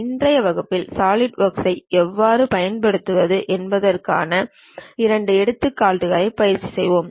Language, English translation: Tamil, In today's class we will practice couple of examples how to use Solidworks